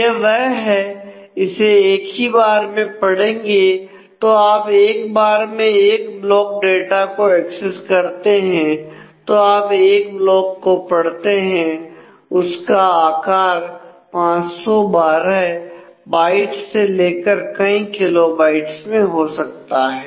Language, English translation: Hindi, So, once you access the data one block will be read block size can range from 512 bytes to several kilobytes